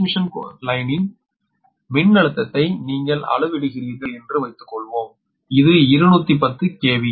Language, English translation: Tamil, suppose you are measuring the voltage of the transmission line, its a line to line voltage